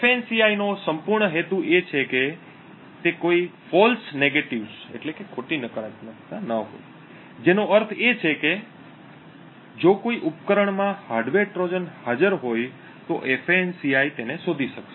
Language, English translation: Gujarati, The entire aim of FANCI is to completely have no false negatives, which means that if a hardware Trojan is present in a device a FANCI should be able to detect it